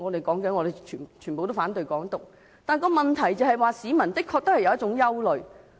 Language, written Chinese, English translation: Cantonese, 民主派反對"港獨"，但問題是，市民的確有憂慮。, The Democratic Party opposes Hong Kong independence but the problem is that the public are really worried